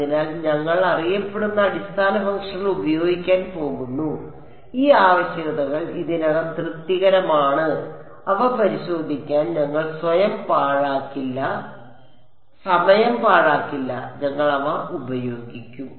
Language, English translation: Malayalam, So, we are going to use well known basis functions, these requirements have already been satisfied we will not waste time in trying to check them, we will just use them